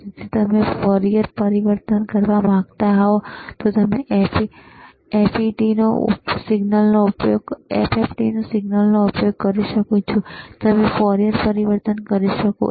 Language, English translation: Gujarati, So, if you want to do Fourier transform, you can use FFT signal and you can do Fourier transform